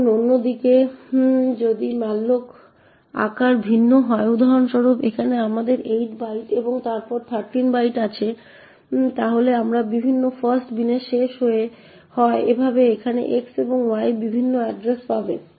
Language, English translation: Bengali, Now on the other hand if the malloc sizes are different for example here we have 8 bytes and then 13 bytes then they end up in different fast bin thus over here x and y would get different addresses